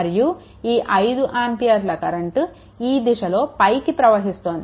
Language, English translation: Telugu, And this is your 5 ampere current moving upwards